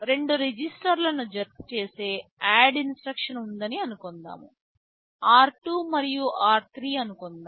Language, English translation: Telugu, Ssuppose there is an add ADD instruction which adds 2 registers, let us say r 2 and r 3